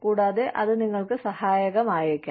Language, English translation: Malayalam, And, that might be, helpful for you